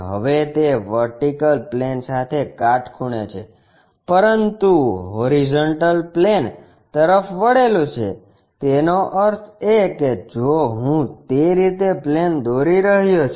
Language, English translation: Gujarati, Now, it is perpendicular to vertical plane, but inclined to horizontal plane; that means, if I am drawing a plane in that way